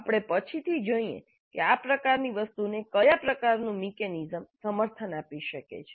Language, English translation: Gujarati, We later see what kind of mechanisms can support this kind of a thing